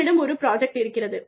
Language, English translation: Tamil, You have a project